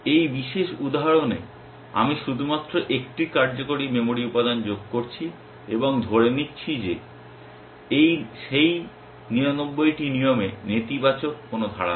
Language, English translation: Bengali, In this particular example, I am only adding 1 working memory element and assuming that those 99 rules do not have negative clauses